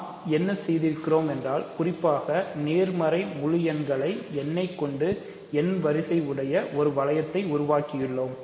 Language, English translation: Tamil, So, what we have done in particular is given any positive integer n we have produced a ring of that order